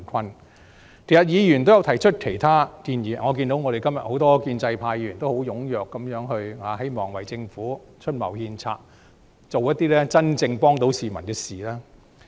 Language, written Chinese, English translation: Cantonese, 事實上，議員也曾提出其他建議，我也看到今天我們很多建制派議員也很踴躍發言，希望為政府出謀獻策，做一些能真正幫到市民的事。, As a matter of fact some Members have also put forward other proposals and I have seen that a lot of pro - establishment Members have actively taken part in todays debate with a view to putting forward their suggestions to the Government and do something which can really help the people